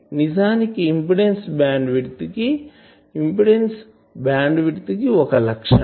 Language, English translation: Telugu, So, impedance bandwidth is a term